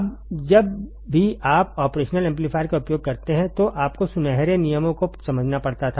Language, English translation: Hindi, Now, whenever you use operational amplifier, whenever you use operational amplifier, you had to understand golden rules